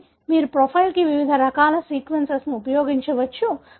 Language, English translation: Telugu, So, you can use various different types of sequences to profile